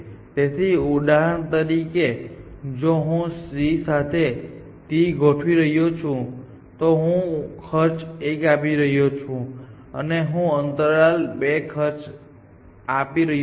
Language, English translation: Gujarati, So, if I am aligning a T with a C for example here, then I am paying a cost of 1 and a gap, I have to pay a cost of 2